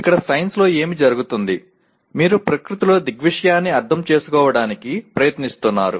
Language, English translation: Telugu, So here what happens in science, you are trying to understand phenomena in the nature